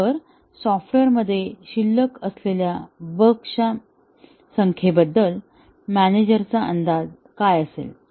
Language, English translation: Marathi, So, what would be the manager’s estimate of the number of bugs that are still remaining in the software